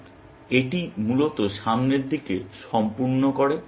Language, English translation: Bengali, So, this completes the forward face, essentially